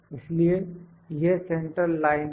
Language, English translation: Hindi, So, this is central line